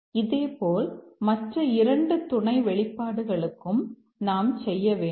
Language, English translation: Tamil, Similarly we need to do for the other two sub expressions